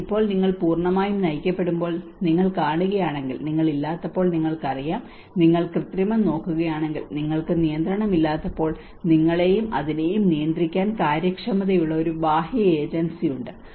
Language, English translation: Malayalam, But now if you see if you when it is guided completely you know when you do not have, if you look at the manipulation because when you do not have a control, obviously there is an external agency which have an efficiency to control you and that is where it becomes a guided